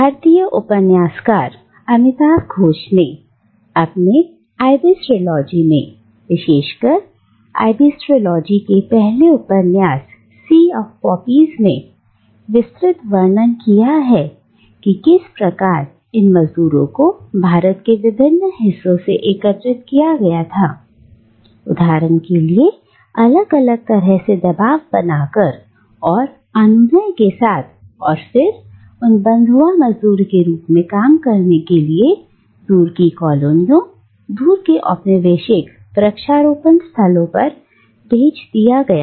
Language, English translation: Hindi, And the Indian novelist Amitav Ghosh in his Ibis Trilogy, especially in the first novel in the Ibis Trilogy, Sea of Poppies, he describes in details how these indentured labourers were gathered from various parts of India, for instance, using different degrees of coercion and persuasion, and then they were shipped to distant Colonies, distant Colonial plantations to work as bonded labourers